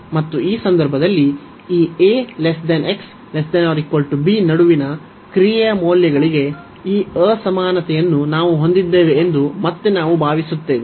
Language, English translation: Kannada, And in this case, again we suppose that we have this inequality for the values of the function between this a to b